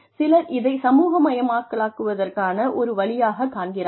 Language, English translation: Tamil, And, some people see it as a way to socialize